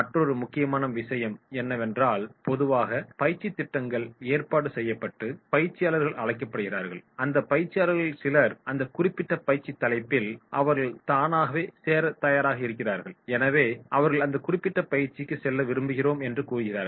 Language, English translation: Tamil, Another important point is, normally the training programs are organised and invited the trainees and, in those trainees,, some of them are willing to join that particular training title and therefore they say yes we want to go for this particular training